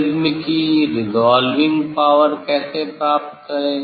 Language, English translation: Hindi, How to get the resolving power of the prism